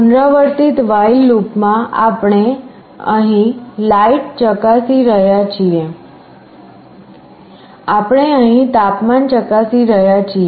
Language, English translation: Gujarati, In a repetitive while loop we are checking the light here, we are checking the temperature here